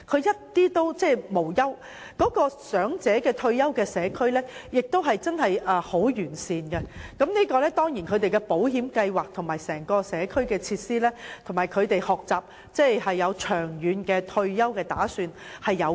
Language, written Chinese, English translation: Cantonese, 他們生活無憂，長者退休社區的設備亦確實十分完善，這當然也與當地的保險計劃、社區設施及人民懂得預早為退休生活作打算有關。, They are leading a worry - free retirement life and these community areas are also provided with well - equipped facilities . This can of course be attributed to the insurance system and community facilities of the United States and the fact that its people are aware of the importance of making early planning for their retirement life